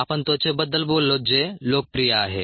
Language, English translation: Marathi, we did talk of ah skin, which is popular ah